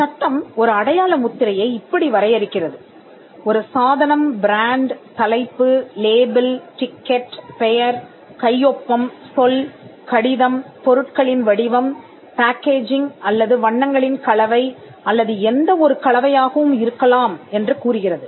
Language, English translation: Tamil, The act defines a mark as a device, brand, heading, label, ticket, name, signature, word, letter, numeral, shape of goods, packaging or combination of colours or any combination thereof